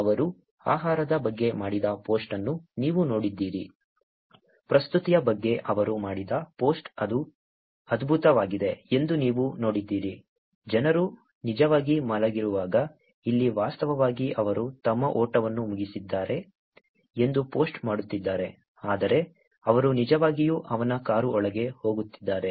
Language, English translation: Kannada, You saw that the post that he did about food, you saw that the post that he did about the presentation that it went great, while people were actually sleeping, here is actually posting that he just finished his run, whereas he actually going around in his car